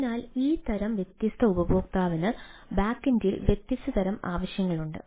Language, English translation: Malayalam, so this type of different user has different type of need at the back end